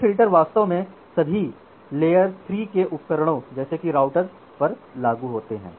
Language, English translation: Hindi, Now all these filters are actually implemented at all the layer 3 devices; that means, inside the router